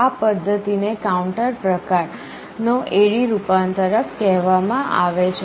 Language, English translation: Gujarati, This method is called counter type A/D converter